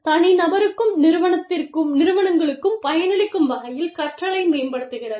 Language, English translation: Tamil, While leveraging, the learning, to benefit the individual and the firms